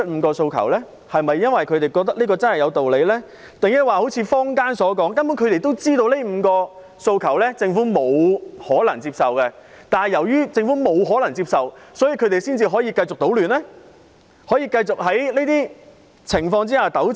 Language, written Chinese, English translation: Cantonese, 他們真的認為5項訴求有道理，還是好像坊間所說，他們根本知道政府不可能接受，但正因為這樣，他們才可以繼續搗亂、可以繼續糾纏？, Did they really think that the five demands were justified or did they raise the demands knowing that the Government could not accept them hence giving them an excuse to continue wreaking havoc and pestering the Government as some members of the public have suggested?